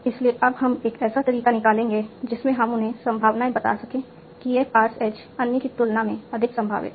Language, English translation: Hindi, So now we would like to have a way in which we can assign them the probabilities, that this pass is more probable than other